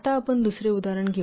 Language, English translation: Marathi, Now let's take another example